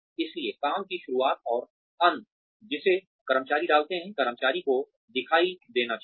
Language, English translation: Hindi, So, the beginning and the end of the work, that employees put in, should be visible to the employees